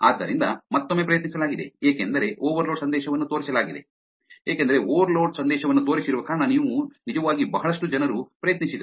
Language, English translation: Kannada, So, tried again because overload message was shown that lot of people who actually tried because the overload message was shown